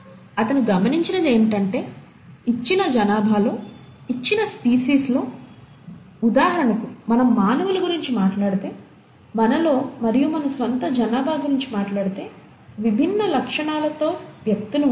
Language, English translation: Telugu, What he observed is that, in a given population itself, for a given species, so if we talk about humans for example, among ourselves and in our own population, there will be individuals with different features